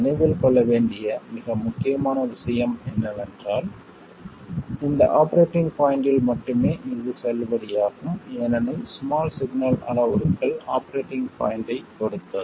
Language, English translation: Tamil, The most important thing to remember is that it is valid only over this operating point because the small signal parameters depend on the operating point